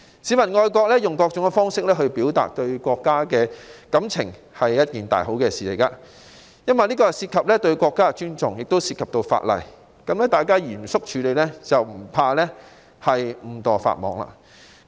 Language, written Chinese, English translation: Cantonese, 市民基於愛國情懷，以各種方式表達對國家的感情，是一件天大好事，因這既涉及對國家的尊重，也涉及法例，只要嚴肅處理，便不用害怕誤墮法網。, It would be an excellent thing for the people to express their feelings for the country through various ways out of their patriotic sentiments because this involves their respect for the country and is something regulated under the law too . People should not worry about the risk of being inadvertently caught by the law if they have taken the matters involved seriously